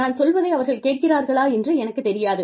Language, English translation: Tamil, I do not know, if they are listening to me